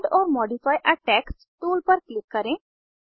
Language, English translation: Hindi, Click on Add or modify a text tool